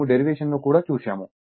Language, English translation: Telugu, We have see the derivation also